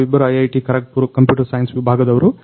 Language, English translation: Kannada, We both are from Department of Computer Science IIT, Kharagpur